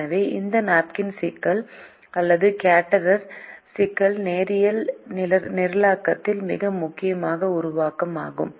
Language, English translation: Tamil, so this napkins problem, or the caterer problem, is a very important formulation in linear programming